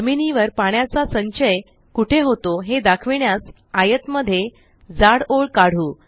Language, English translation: Marathi, In the rectangle, lets draw a thick black line to show where the ground water accumulates